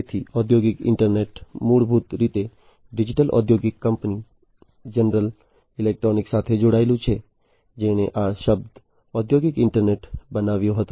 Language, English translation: Gujarati, So, industrial internet the origin is basically linked to the digital industrial company General Electric, who coined this term industrial internet